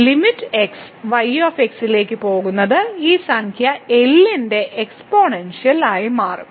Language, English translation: Malayalam, So, limit goes to a will become the exponential of this number